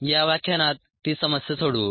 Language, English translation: Marathi, let us solve that problem in this lecture